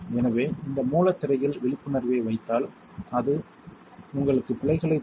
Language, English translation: Tamil, So, just keep awareness on this source screen it will give you errors